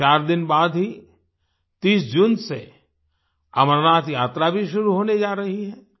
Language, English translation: Hindi, Just 4 days later,the Amarnath Yatra is also going to start from the 30th of June